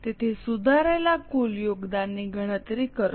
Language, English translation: Gujarati, So, compute the revised total contribution